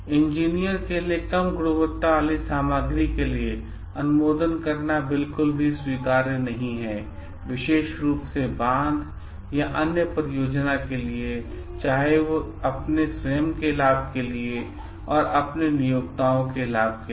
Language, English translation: Hindi, It is not at all acceptable for an engineer to like approve for low quality material for a particular dam or other things for his own benefit and for his employers benefit